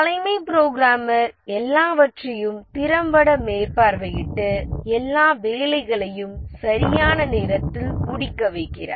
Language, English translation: Tamil, The chief programmer does everything, effectively supervises, gets all the work done on time